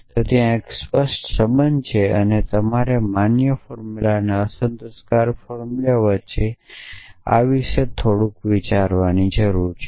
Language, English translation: Gujarati, need to think about little bit about this between the valid formula and the unsatisfiable formulas